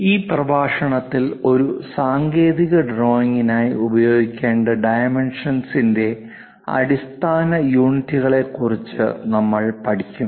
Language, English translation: Malayalam, In today's, we will learn about basic units of dimensions to be use for a technical drawing